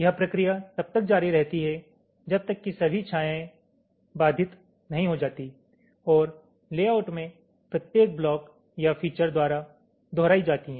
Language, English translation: Hindi, this process is continued until all of the shadows has been obstructed and is repeated by every block or feature in the layout